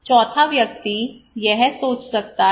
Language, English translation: Hindi, The fourth person, he may think